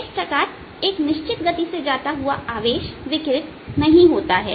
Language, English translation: Hindi, thus, charged moving with constant speed does not reradiate